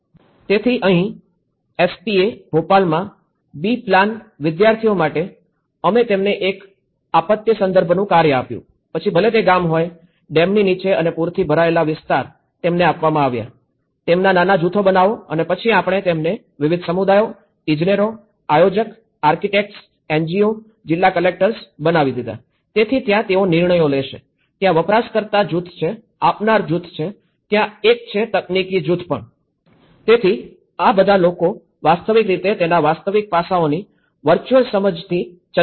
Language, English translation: Gujarati, So, here for B plan students in SPA, Bhopal, what we did was we given them a task of a disaster context whether it was a village, under the dam and a flooded area and then we given them, make them into small groups and then we made into like community, engineers, planner, architect, NGO, district collectors, so there is a decision making, there is a user group, there is a provider group, there is a technical group